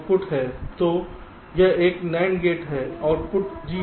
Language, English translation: Hindi, so this is a nand gate, output is g